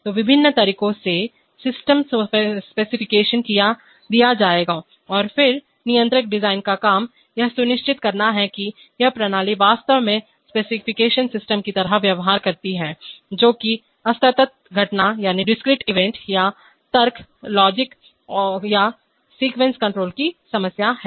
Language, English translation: Hindi, So in various ways system specification will be given and then the job of the controller design is to ensure that this system actually behaves like the specification system, that is the problem of discrete event or logic or sequence control